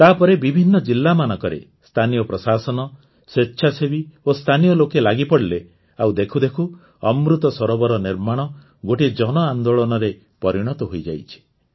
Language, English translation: Odia, After that, the local administration got active in different districts, voluntary organizations came together and local people connected… and Lo & behold, the construction of Amrit Sarovars has become a mass movement